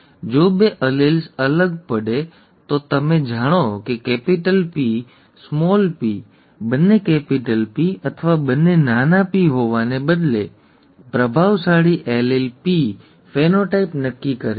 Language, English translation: Gujarati, If the two alleles differ, you know, capital P small p, instead of both being capital P or both being small p, the dominant allele P determines the phenotype, okay